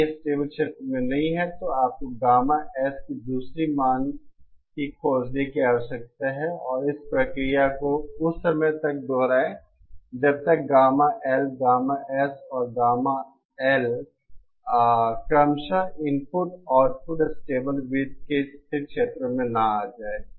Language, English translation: Hindi, If it does not lie in the stable region, then you need to find another value of gamma S and repeat this process till the time that gamma L, was gamma S and gamma L are in the stable regions of the input and output stability circles respectively